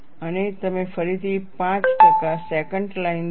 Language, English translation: Gujarati, And what is the 5 percent secant line